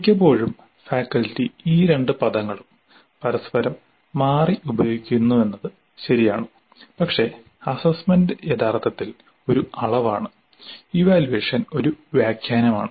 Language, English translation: Malayalam, It is true that quite often faculty use these two terms interchangeably, but assessment is actually a measure and evaluation is an interpretation